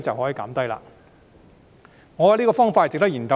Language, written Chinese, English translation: Cantonese, 我覺得這個方法值得研究。, I find it worthwhile to study this method